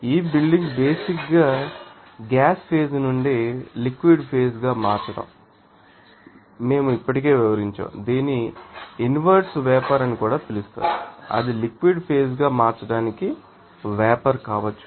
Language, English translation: Telugu, So, what is condensation we have already described this condensation basically is the conversion of the physical state of matter from the gas phase into the liquid phase and it is also called that inverse vaporization that may be you know that vapor to converting into you know liquid phase